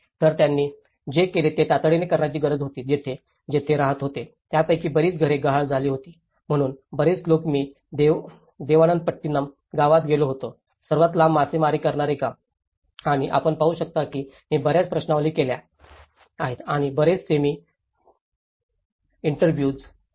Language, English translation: Marathi, So what they did was an immediate requirement for them as where to live, many of them lost their houses, so many I was visiting Devanampattinam village, the longest fisherman village and you can see that I have taken lot of questionnaires and a lot of semi structured interviews